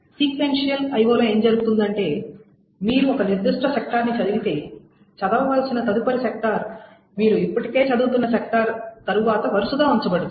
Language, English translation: Telugu, Is that you are read a particular sector and the next sector to be read is sequentially placed after that the sector that you are already reading